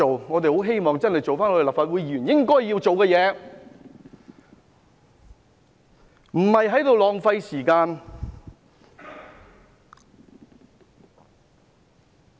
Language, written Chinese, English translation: Cantonese, 我們很希望立法會議員做回應該做的事，不要浪費時間。, We very much hope that Members of the Legislative Council do what they are supposed to do instead of wasting time